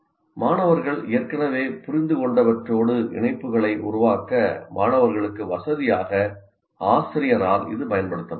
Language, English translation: Tamil, It can be used by a teacher, by the teacher to facilitate the students to make links with what students already understood